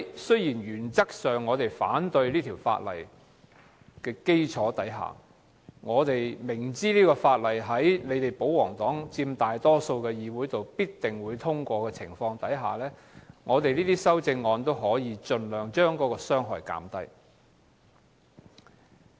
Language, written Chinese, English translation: Cantonese, 雖然原則上我們反對《條例草案》，但明知在保皇黨佔大多數議席的情況下，《條例草案》必定會通過，故我提出兩部分的修正案，希望盡量將傷害減低。, Although we oppose the Bill in principle knowing that the Bill will definitely be passed with pro - Government Members dominating the Council I have proposed the two parts of amendments in the hope of minimizing the harm